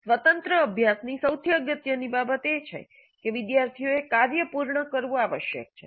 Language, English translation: Gujarati, Now the most important aspect of the independent practice is that students must complete the work